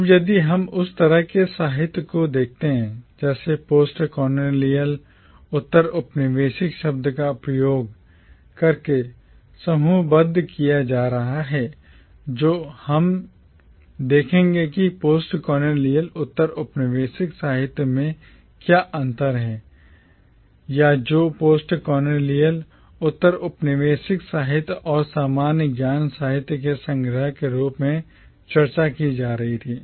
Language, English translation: Hindi, Now if we look at the kind of literature that was being grouped together using the term postcolonial, we will see that there is not much difference between postcolonial literature or what was being discussed as postcolonial literature and the archive of commonwealth literature